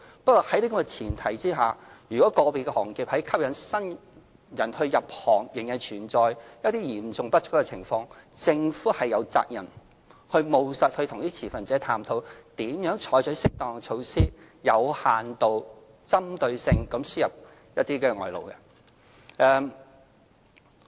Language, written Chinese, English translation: Cantonese, 不過，大家也要思考，在這前提下，如果個別行業在吸引新人入行時，仍面對人手嚴重不足的情況，政府有責任務實地與持份者探討如何採取適當的措施，有限度及針對性地輸入外勞。, However Members have to consider if against this background individual trades still fails to attract new blood and faces a serious manpower shortage the Government is obliged to explore possible and appropriate measures in a pragmatic manner with stakeholders on importation of labour on a restricted and focused scale . Members have mentioned issues relating to the elderly care industry